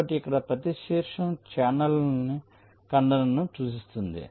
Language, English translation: Telugu, so here, ah, each vertex represents a channel intersection